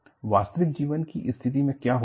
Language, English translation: Hindi, In a real life situation, what happens